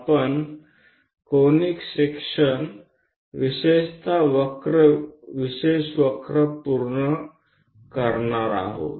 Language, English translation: Marathi, We are covering Conic Sections, especially on special curves